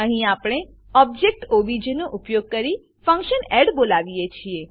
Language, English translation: Gujarati, Here we call the function add using the object obj